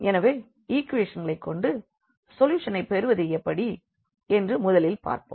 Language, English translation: Tamil, So, first let us see with the equations how to get the solution now